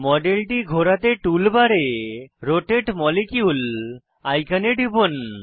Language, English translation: Bengali, To rotate the model, click on the Rotate molecule icon on the tool bar